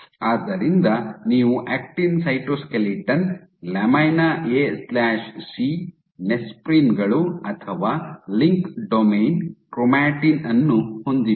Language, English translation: Kannada, So, you have actin cytoskeleton lamina A/C, nesprins or link domain chromatin and so on and so forth